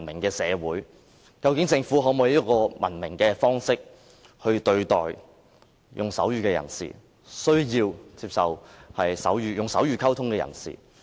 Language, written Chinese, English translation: Cantonese, 究竟政府是否用文明的方式來對待和接受使用手語溝通的人士？, Whether the Government actually adopts a civilized way to treat and accept people who use sign language as a means of communication?